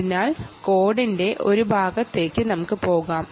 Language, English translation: Malayalam, so, ah, let us go there to that part of the code